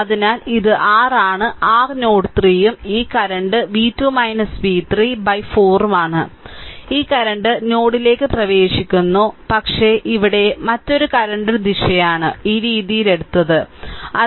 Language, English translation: Malayalam, So, this is your this is your node 3 and this current is v 2 minus v 3 by 4, this current is entering into the node right, but another current here direction is taken this way